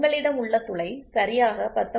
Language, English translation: Tamil, So, your hole if it is very 19